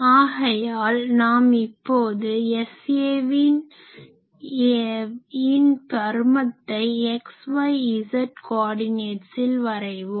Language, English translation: Tamil, So, suppose what will do that we have x y z coordinate